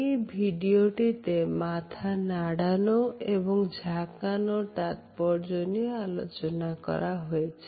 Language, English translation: Bengali, In this video we can look at interesting summarization of the significance of nod and shake of the head